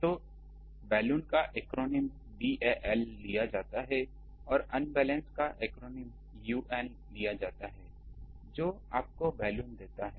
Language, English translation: Hindi, So, the acronyms of BAL from balanced it is taken BAL and from unbalance it is taken un that gives you Balun